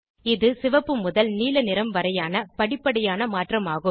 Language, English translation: Tamil, There is gradual change in the color from red to blue